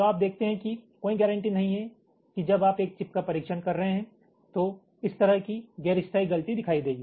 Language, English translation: Hindi, so you see, there is no, there is no guarantee that when you are actually testing a chip this kind of non permanent fault will show up